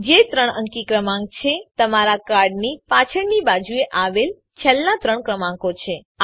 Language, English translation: Gujarati, Which is the three digit number last three digits at the back of your card